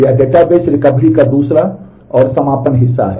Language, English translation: Hindi, This is the second and concluding part of the Database Recovery